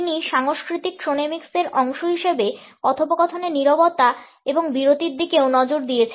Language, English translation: Bengali, He also looked at conversational silences and pauses as part of cultural chronemics